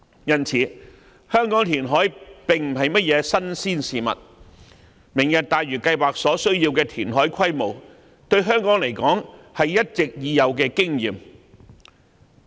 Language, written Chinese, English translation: Cantonese, 因此，香港填海並非甚麼新鮮事，而對於香港而言，"明日大嶼"計劃需要的填海規模是一直已有的經驗。, This shows that reclamation is nothing new to Hong Kong and Hong Kong already has the experience of undertaking reclamation of the scale required of the Lantau Tomorrow Plan . Previous experience can serve as future reference